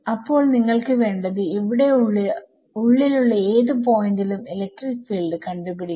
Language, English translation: Malayalam, So, you want to find out the question is to find out the electric field at some random point inside here like this